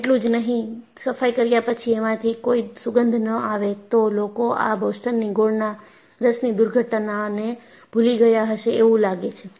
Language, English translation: Gujarati, Not only this, after cleaning if there is no smell, people would have forgotten Boston molasses disaster